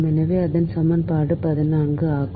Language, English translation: Tamil, so this is equation sixteen